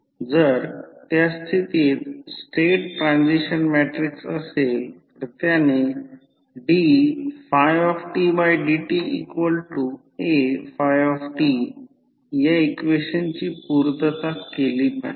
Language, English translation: Marathi, So, in that case if it is the state transition matrix it should satisfy the following equation, that is dy by dt is equal to A phi t